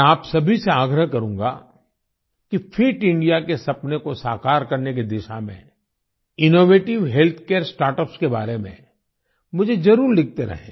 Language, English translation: Hindi, I would urge all of you to keep writing to me about innovative health care startups towards realizing the dream of Fit India